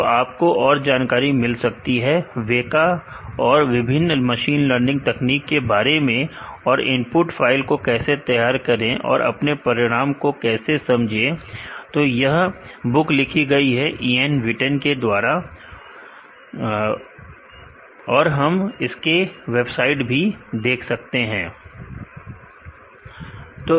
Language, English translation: Hindi, So, you can get more details about WEKA and different machine learning technique and, how to prepare the input files and, how to interpret the result this book write the written by Ian Witten and, we can also refer the website for more information